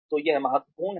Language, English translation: Hindi, So, this is important